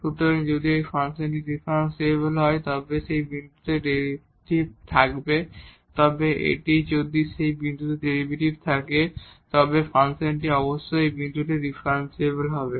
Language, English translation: Bengali, So, if a function is differentiable then it will have derivative at that point or it if it has a derivative at that point then the function must be differentiable at that point